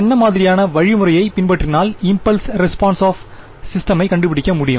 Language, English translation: Tamil, What kind of procedure would you follow for calculating the impulse response of a system